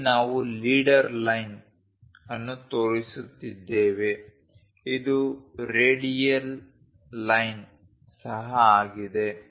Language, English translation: Kannada, Here we are showing leader line this is also a radial line